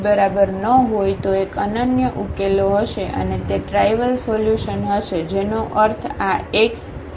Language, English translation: Gujarati, If the determinant is not equal to 0 then there will be a unique solution and that will be the trivial solution meaning this x will be 0